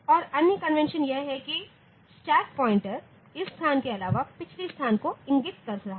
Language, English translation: Hindi, And other convention may be the stack pointer instead of pointing to this location it points to the previous location